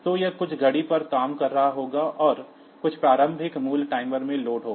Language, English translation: Hindi, So, it will be operating on some clock and there will be some initial value loaded into the timer